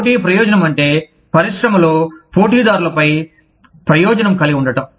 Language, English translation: Telugu, Competitive advantage means, having an advantage, over the competitors, in the industry